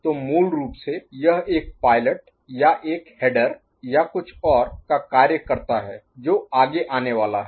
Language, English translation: Hindi, So, basically that serves as a pilot or a header or something else to follow, ok